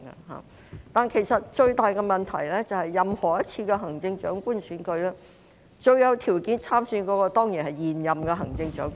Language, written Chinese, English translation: Cantonese, 然而，其實最大的問題是，任何一次行政長官選舉，最有條件參選的當然是現任行政長官。, Nevertheless actually the biggest problem is that in any Chief Executive election the one in the best position to stand for election is of course the incumbent Chief Executive